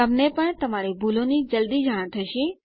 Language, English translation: Gujarati, So you, too, will soon realize your mistakes